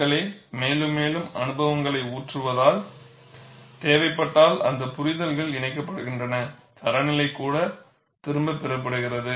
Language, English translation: Tamil, People, as more and more experience pour in, those understandings are incorporated, if necessary, even the standard is withdrawn